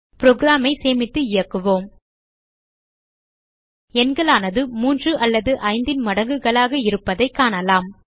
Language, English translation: Tamil, So save and run the program We can see that the numbers are either multiples of 3 or 5